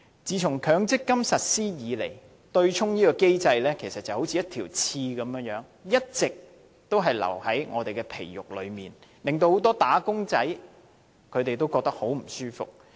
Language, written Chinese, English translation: Cantonese, 自從強積金計劃實施以來，對沖機制其實就好像一根刺，一直刺着我們，令很多"打工仔"感到很不舒服。, Since the implementation of the MPF scheme the offsetting mechanism has been a thorn constantly irritating us causing great discomfort to many workers